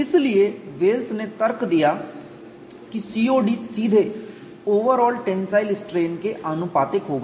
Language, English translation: Hindi, So, Wells argued that COD will be directly proportional to overall tensile strain